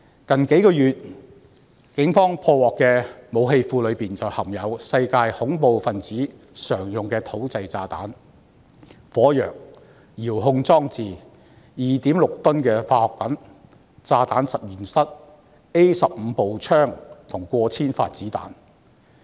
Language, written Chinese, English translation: Cantonese, 警方在最近數月破獲的武器庫內，便含有世界恐怖分子常用的土製炸彈、火藥、遙控裝置、2.6 噸的化學品、炸彈實驗室、A15 步槍及過千發子彈。, When the Police raided an arsenal in recent months the articles seized included improvised explosive devises commonly used by terrorists around the world gunpowder remote control devices 2.6 tonnes of chemicals bomb laboratories AR - 15 rifles and thousands of bullets